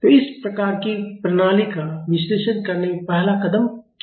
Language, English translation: Hindi, So, what is the first step in analyzing this type of system